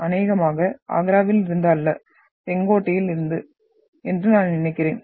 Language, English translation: Tamil, Probably, not from Agra, this is from I think Red Fort